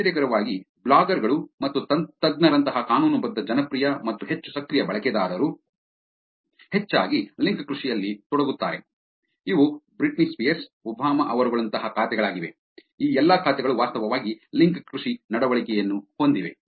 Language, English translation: Kannada, Surprisingly, legitimate popular and highly active users such as bloggers and experts, most likely engage in link farming, these are accounts like Britney Spears, Obama all of these accounts actually have link farming behavior